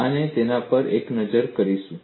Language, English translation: Gujarati, We will have a look at it